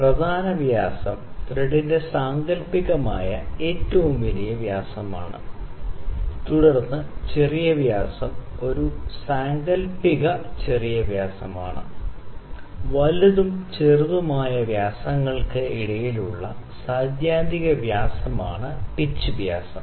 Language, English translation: Malayalam, And major dia is an imaginary largest dia of the thread, then the minor dia is an imaginary smallest dia, pitch dia is theoretical dia between the major and minor dia diameters